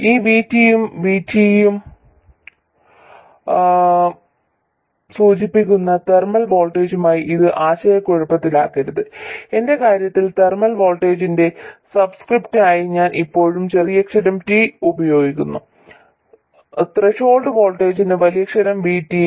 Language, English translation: Malayalam, This VT, and please don't confuse it with the thermal voltage which is also denoted by VT, in my case I always use the lower case T for the subscript in the thermal voltage and upper case for the threshold voltage VT